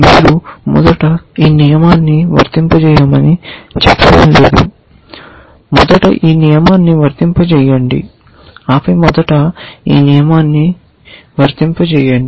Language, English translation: Telugu, You are not saying apply this rule first then apply this rule first and then apply this rule first and so on